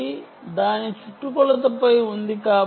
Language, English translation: Telugu, it is located on its perimeter